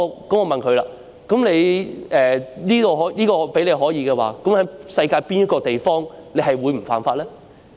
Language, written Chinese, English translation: Cantonese, 我問他："如果這說法成立，試問在世界上哪個地方你不會犯法呢？, I asked him If such a notion stands may I ask in which place in the world you would be safe from breaking the law?